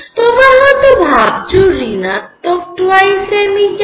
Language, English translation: Bengali, Now, you may wonder why this minus 2 m E